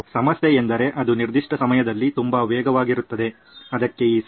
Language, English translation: Kannada, The problem is that it is too fast at that particular time